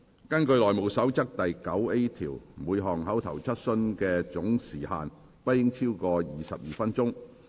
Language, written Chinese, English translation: Cantonese, 根據《內務守則》第 9A 條，每項口頭質詢的總時限不應超過22分鐘。, In accordance with rule 9A of the House Rules the time taken by each oral question should not exceed 22 minutes in total